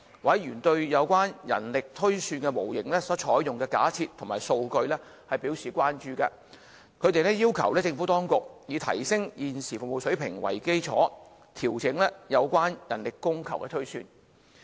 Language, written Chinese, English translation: Cantonese, 委員對有關人力推算模型所採用的假設及數據表示關注，他們要求政府當局，以提升現時的服務水平為基礎，調整有關的人力供求推算。, Members concerned about the assumption and data of the manpower projection model and urged the Administration to adjust the manpower projection having due regard to the need for service enhancement